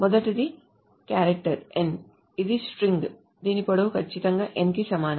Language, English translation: Telugu, This is a string whose length is exactly equal to n